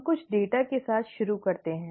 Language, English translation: Hindi, Let us start with some data